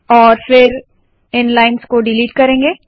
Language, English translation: Hindi, And then we will delete these lines